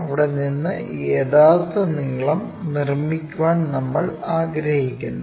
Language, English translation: Malayalam, And, from there we would like to construct this true length